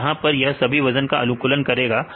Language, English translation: Hindi, So, here this will optimize the all this weights